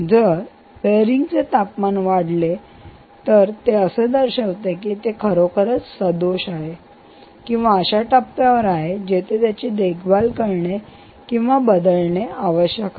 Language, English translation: Marathi, so if the temperature of the bearing increases is a good indicator that this bearing is indeed faulty or its coming to a stage where it requires maintenance or replacement